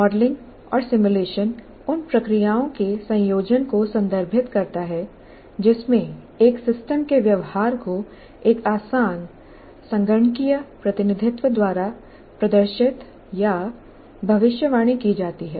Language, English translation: Hindi, And modeling and simulation are referred to a combination of processes in which a system's behavior is demonstrated or predicted by a reductive computational representation